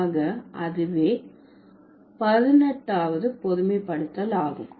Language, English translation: Tamil, So, that is the 18th generalization